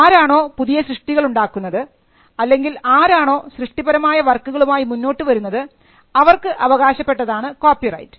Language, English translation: Malayalam, People who create or who come up with creative work can be the owners of copyright